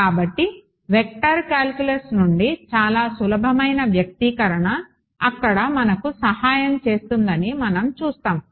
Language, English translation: Telugu, So, we will see there is a very simple what you called expression from vector calculus that that will help us there